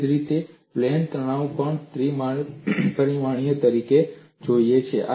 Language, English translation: Gujarati, Similarly, the plane stress also looks as a three dimensional one